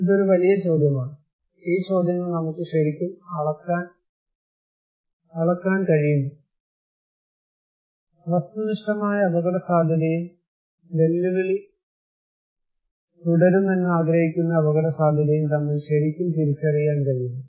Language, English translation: Malayalam, so that is a big question, these questions that whether we can really measure, can we really distinguish between objective risk and perceived risk that challenge will continue